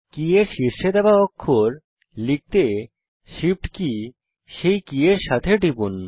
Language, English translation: Bengali, Press the Shift key with any other key to type a character given at the top of the key